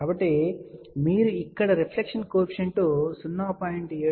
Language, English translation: Telugu, So, you can see here reflection coefficient is 0